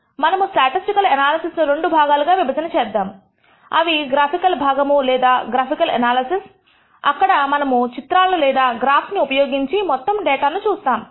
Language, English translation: Telugu, We can divide the statistical analysis into two parts, the graphical part or graphical analysis where we use plots and graphs in order to have a visual feel of the entire data